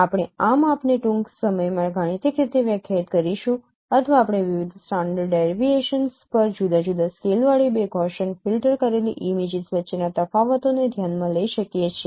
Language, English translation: Gujarati, So we will this will define this measure mathematically soon or you can consider differences between two Gaussian filtered images with different scales, different standard deviations